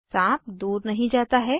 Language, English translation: Hindi, The snake does not crawl away